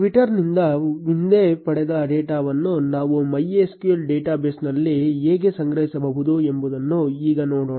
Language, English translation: Kannada, Let us now look at how we can store previously fetched data from twitter into a MySQL database